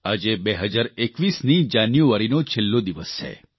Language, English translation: Gujarati, Today is the last day of January 2021